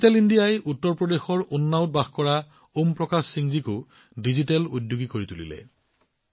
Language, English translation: Assamese, Digital India has also turned Om Prakash Singh ji of Unnao, UP into a digital entrepreneur